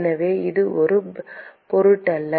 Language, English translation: Tamil, So, it would not matter